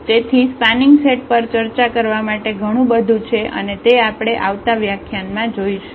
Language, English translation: Gujarati, So, there is a lot more to discuss on this spanning set and that will follow in the next lectures